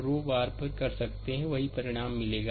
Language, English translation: Hindi, Row wise also you can do it, you will get the same result